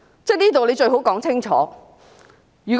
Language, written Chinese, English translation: Cantonese, 這方面最好說清楚。, She had better make this clear